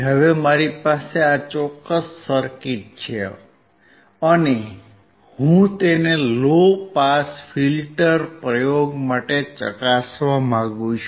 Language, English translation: Gujarati, Now I have this particular circuit and I want to test it for the low pass filter experiment